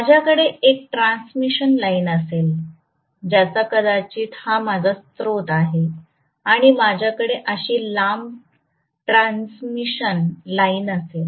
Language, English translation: Marathi, Please understand, I am going to have a transmission line maybe here is my source and I am going to have a long transmission line like this